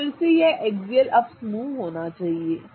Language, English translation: Hindi, So, again it has to be an axial up group